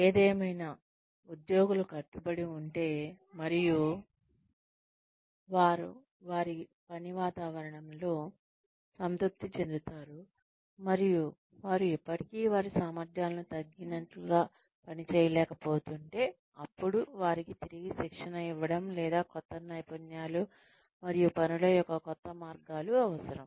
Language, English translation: Telugu, However, if the employees are committed, and they are satisfied with their work environment, and they are still not able to perform, to the best of their abilities; then, a need to re train them, or to train them, in newer skills, and newer ways of doing things, may be there